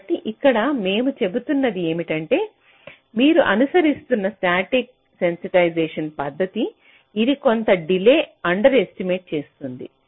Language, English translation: Telugu, so, ah, here what we are saying is that the, the static sensitization method that you are following, this is doing some delay underestimation